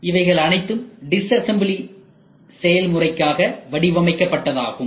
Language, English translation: Tamil, So, all these things are designed for disassembly process